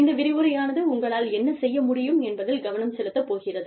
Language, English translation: Tamil, This particular lecture is going to be focused on, what you can do